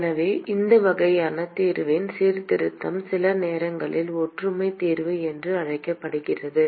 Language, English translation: Tamil, So, this kind of a reformulation of the solution is sometimes called as similarity solution